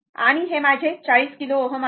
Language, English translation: Marathi, And this is my 40 kilo ohm right